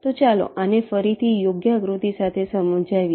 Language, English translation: Gujarati, so lets lets explain this again with a proper diagram